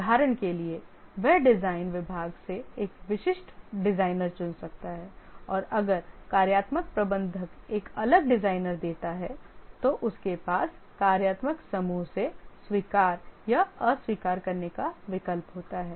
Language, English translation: Hindi, And if the functional manager, the design manager gives a different designer, he may have the option to either accept or reject from the functional group